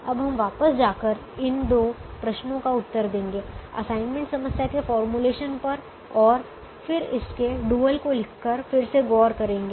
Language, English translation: Hindi, now we'll answer these two questions now by looking at going back and revisiting the formulation of the assignment problem and then by writing its dual